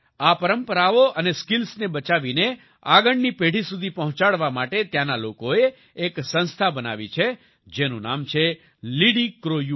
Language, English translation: Gujarati, In order to save these traditions and skills and pass them on to the next generation, the people there have formed an organization, that's name is 'LidiCroU'